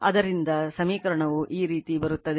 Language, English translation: Kannada, So, your equation will be like this right